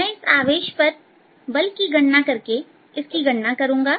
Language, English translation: Hindi, i'll calculate by calculating the force on this charge